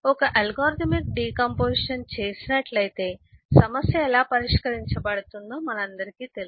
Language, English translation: Telugu, if have done an algorithmic decomposition, then we all know how the problem get solved